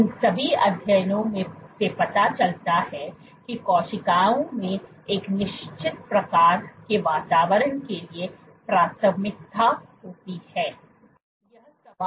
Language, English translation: Hindi, All these studies suggest that cells tend to have a preference for a certain kinds of environment